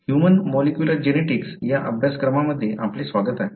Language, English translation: Marathi, Welcome back to this human molecular genetics course